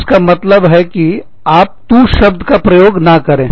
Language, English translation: Hindi, And, this means that, you do not use the word, TU